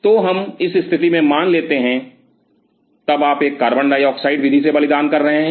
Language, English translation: Hindi, So, let us assume in this situation then you wanted to do a CO2 sacrificing